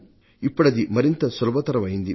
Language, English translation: Telugu, But now we have made it a lot simpler